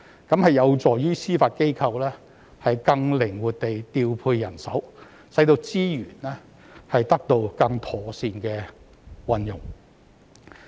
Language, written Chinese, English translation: Cantonese, 這有助於司法機構更靈活地調配人手，使資源得到更妥善的運用。, This will enable the Judiciary to have more flexibility in manpower deployment thereby putting its resources to the best use